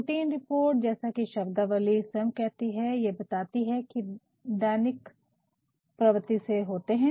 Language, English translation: Hindi, Routine reports by it is terminology itself it tells that they are off routine nature